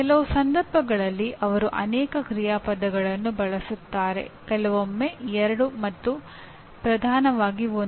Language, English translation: Kannada, In some cases they used multiple action verbs, sometimes two and dominantly one